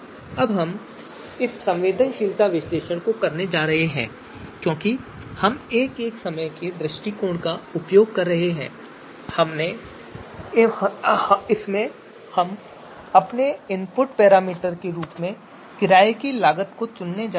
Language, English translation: Hindi, Now so now what we are going to do is we are going to perform our sensitivity analysis and the you know because we are using that you know one at a time approach, so in that approach we are going to pick the renting cost criterion as our input parameter